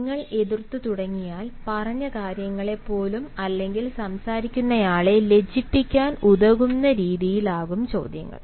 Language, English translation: Malayalam, now you start opposing even what has been said, or formulate a question designed to embarrass the talker